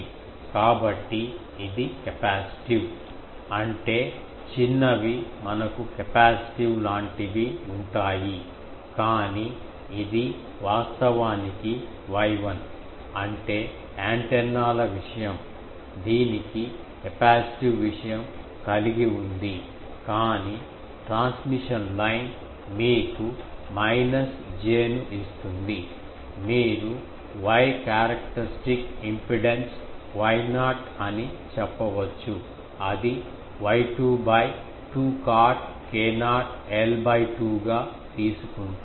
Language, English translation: Telugu, So, it is a capacitive; that means, smaller ones we have a capacitive way thing but this is actually Y 1; that means, antennas thing it has a capacitive thing but the transmission line that is giving you minus j, you can say Y characteristic impedance Y not that am taking Y 2 by 2 cot k not l by 2